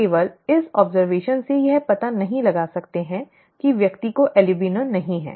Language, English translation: Hindi, We cannot rule that out from just this observation that the person is not an albino